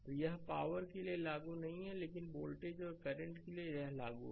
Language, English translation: Hindi, So, it is not applicable for the power, but for the voltage and current it is applicable right